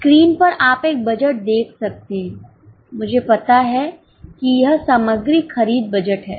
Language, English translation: Hindi, On the screen you are able to see one budget I know, that is material purchase budget